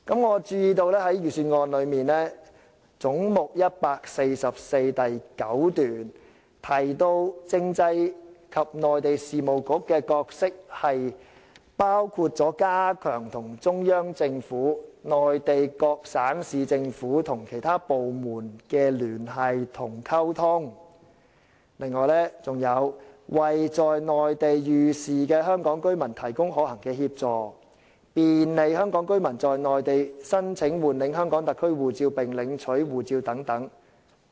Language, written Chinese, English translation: Cantonese, 我注意到財政預算案中有關總目144的部分的第9段提到，政制及內地事務局的角色包括加強與中央政府、內地各省市政府和其他部門的聯繫和溝通；為在內地遇事的香港居民提供可行的協助；便利香港居民在內地申請換領香港特區護照並領取護照等。, I notice that paragraph 9 of the expenditure analysis relating to head 144 mentions that the roles of the Constitutional and Mainland Affairs Bureau include enhancing liaison and communication with the Central Peoples Government the provincial and municipal governments and other local authorities in the Mainland; providing practical assistance to Hong Kong residents in distress in the Mainland and facilitating the application for and collection of HKSAR replacement passport in the Mainland etc